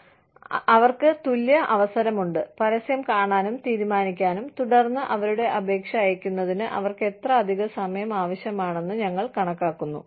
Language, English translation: Malayalam, So, that they have an equal opportunity, to see the advertisement, decide, and then, we calculate, how much extra time, will they need, to send their application in